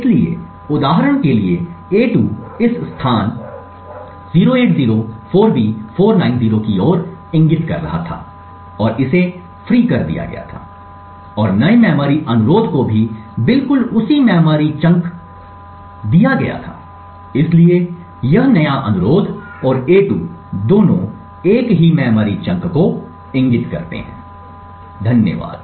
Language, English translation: Hindi, So, for example a2 was pointing to this location 0804B490 and it was freed and the new memory request was also given exactly the same memory chunk therefore this new request and a2 point to the same chunk of memory, thank you